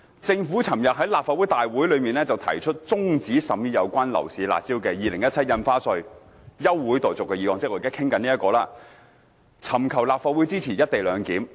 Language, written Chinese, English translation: Cantonese, "政府昨日在立法會大會提出中止審議有關樓市'辣招'的《2017年印花稅條例草案》休會待續議案"——即我們現在正討論的議案——"尋求立法會支持一地兩檢方案。, The Government moved a motion at the Legislative Council meeting yesterday to adjourn the scrutiny of the Stamp Duty Amendment Bill 2017 concerning curb measures of the property market―that is the motion under discussion now―so as to seek the Legislative Councils endorsement of the co - location arrangement